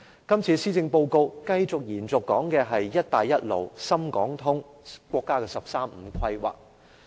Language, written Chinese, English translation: Cantonese, 今次這份施政報告繼續講述"一帶一路"、深港通、國家"十三五"規劃。, The Policy Address continues to talk about the Belt and Road Initiative the Shenzhen - Hong Kong Stock Connect and the National 13 Five - Year Plan